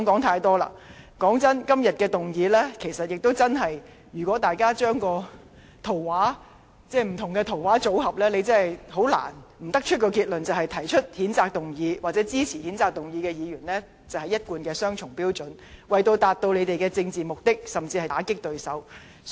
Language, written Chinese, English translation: Cantonese, 坦白說句，就今天的議案，如果大家把不同的圖畫組合起來，便不難得出一個結論，就是提出譴責議案或支持該議案的議員一貫地持雙重標準，為達致自己的政治目的，甚至是打擊對手。, Frankly speaking regarding the motion today if Members put the various pictures together it will not be difficult for them to draw a conclusion the conclusion that the mover of this censure motion or Members who support it have adopted a double standard as usual in a bid to attain their political objectives or even discredit their opponents